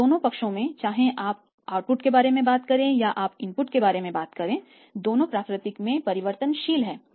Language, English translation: Hindi, And both the sides whether you talk about the output you talk about the input both are variable in nature